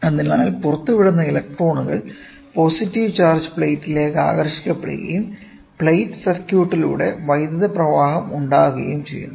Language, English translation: Malayalam, So, emitted electrons get attracted towards the positive charge plate resulting in a flow of current through the plate circuit